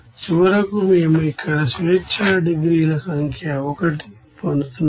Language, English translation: Telugu, So finally, we are getting here number of degrees of freedom is 1